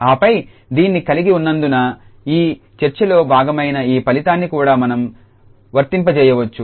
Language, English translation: Telugu, And then having this we can apply this result which is also a part of this a discussion here